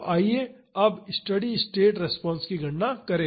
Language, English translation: Hindi, So, let us calculate the steady state response now